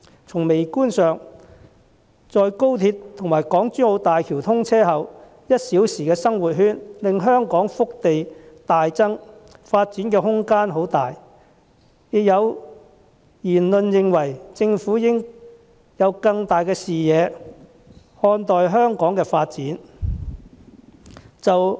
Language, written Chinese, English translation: Cantonese, 從微觀上看，在廣深港高速鐵路和港珠澳大橋通車後，"一小時生活圈"令香港腹地大增，發展空間很大，亦有言論認為政府應以更宏大的視野看待香港發展。, From a micro point of view after the commissioning of the Guangzhou - Shenzhen - Hong Kong Express Rail Link XRL and the Hong Kong - Zhuhai - Macao Bridge the hinterland of Hong Kong swells with the materialization of the one - hour living circle and we now have massive space for development . Some views hold that the Government should broaden its perspective further when considering Hong Kongs development